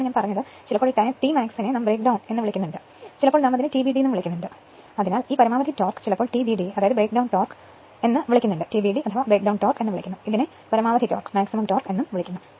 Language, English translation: Malayalam, So, that is that is what I said sometimes this this t max we call break down sometimes we call it as TBD that maximum torque sometimes we call TBD right that breakdown torque this one the maximum torque right